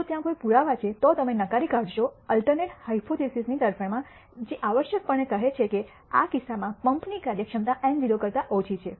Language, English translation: Gujarati, If there is evidence, you will reject this hypothesis in favor of the alternative hypothesis which is essentially saying that the pump efficiency in this case is less than eta naught